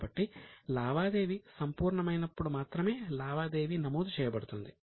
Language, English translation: Telugu, So, only in case of realization of a transaction, the transaction is recorded